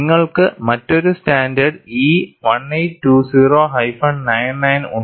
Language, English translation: Malayalam, Then you have another standard E 1820 99